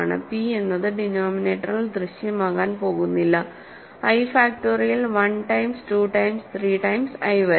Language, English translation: Malayalam, So, p is not going to appear in the denominator, right, i factorial is 1 times 2 times 3 times up to i